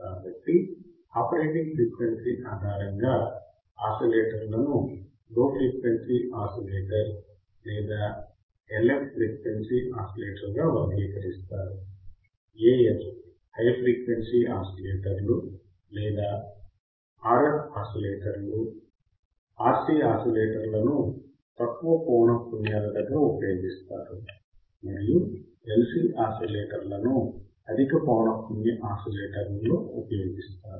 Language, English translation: Telugu, So, based on the operating frequency the oscillators are classified as low frequency oscillator or a frequency oscillator L F; A F high frequency oscillators or RF oscillators the RC oscillators are used at low frequency and the LC oscillators are used at high frequency oscillators